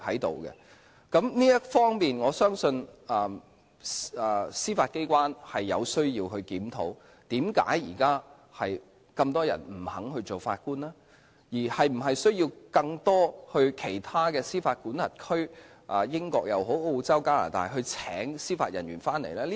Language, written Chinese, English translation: Cantonese, 在這方面，我相信司法機關有需要檢討為何現在那麼多人不肯擔任法官，是否需要在其他司法管轄區，如英國、澳洲或加拿大聘請司法人員來港呢？, In this regard I believe it is necessary for the Judiciary to examine why so many people are reluctant to serve as Judges now and whether it is necessary to recruit judicial officers from other jurisdictions such as the United Kingdom Australia or Canada